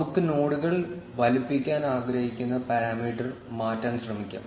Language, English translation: Malayalam, Let us try changing the parameter based on which we want to size the nodes